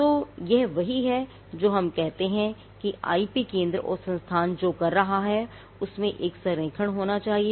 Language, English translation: Hindi, So, this is what we say that there has to be an alignment of what the IP centre is doing with what the institute is doing